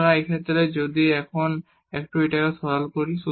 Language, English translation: Bengali, So, in this case now if we simplify this a bit